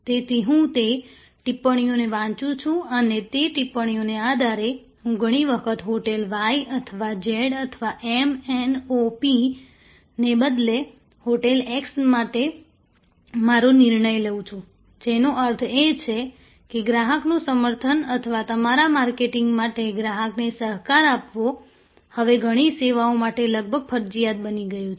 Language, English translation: Gujarati, So, I read those comments and based on those comments, I often make my decision for hotel x instead of hotel y or z or m, n, o, p, which means that, customer advocacy or co opting the customer for your marketing has now become almost mandatory for many, many services